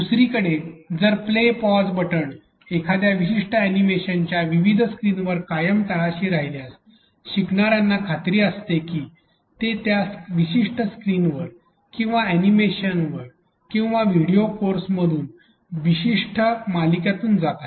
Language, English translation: Marathi, On the other hand if the play pause button remain at the bottom left all throughout various screens of a particular animation, then the learners know for sure that they are going through a particular series of screens or animations or videos courses whatever you can call it